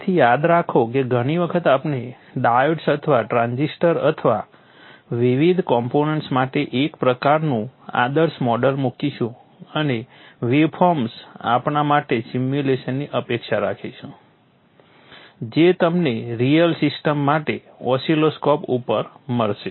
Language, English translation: Gujarati, So remember that many a times we will put kind of idealized model for the diures or the transistors or the various components and expect the simulation to give waveforms which you would get on the oscilloscope of a real system